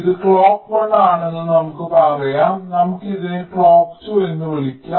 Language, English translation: Malayalam, lets say this clock is clock one, lets call this as clock two